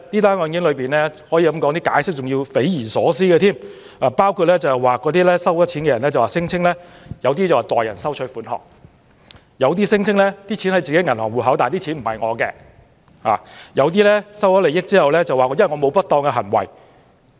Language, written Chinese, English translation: Cantonese, 此外，就有關損款所作的解釋更可說是匪夷所思，包括收款人指那是代收款項，也有人聲稱戶口內的款項並不屬於自己，又有人在收受利益後辯稱自己沒有不當行為。, Besides the explanations made in respect of these donations are way beyond our imagination . Some payees have argued that they were receiving the donations on behalf of other parties while some have alleged that the money in their accounts did not actually belong to them and some have explained after receiving benefits that there was no misconduct on their part